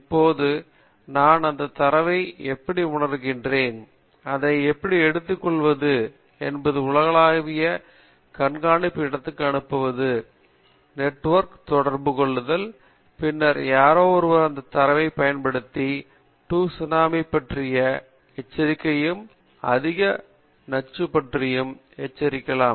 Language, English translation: Tamil, Now, how do I sense that data, how do I take it out and then send it to a global monitoring place, a communicate over the network and then somebody goes and use that data and say there can be a tsunami, the pollution level is high